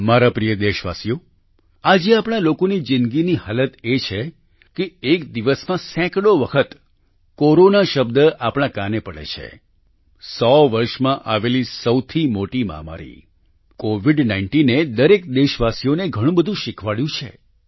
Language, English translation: Gujarati, the condition of our lives today is such that the word Corona resonates in our ears many times a day… the biggest global pandemic in a hundred years, COVID19 has taught every countryman a lot